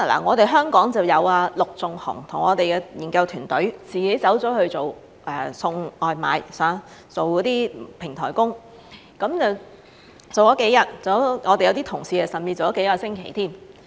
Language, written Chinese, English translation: Cantonese, 我們香港就有陸頌雄議員和我們的研究團隊自己去送外賣，做數天平台工，我們的一些同事甚至做了數個星期。, He personally tried In Hong Kong Mr LUK Chung - hung and our research team have worked as platform workers for a few days delivering takeaways . Some of our colleagues have even worked as takeaway delivery workers for a few weeks